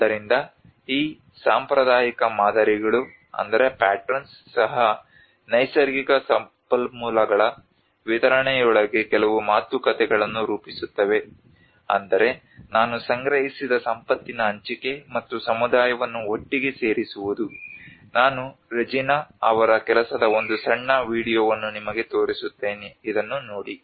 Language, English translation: Kannada, So even these traditional patterns also formulate certain negotiations within the distribution of natural resources accumulate I mean sharing of the accumulated wealth, and bringing the community together like I will show you a small video of Reginaís work watch it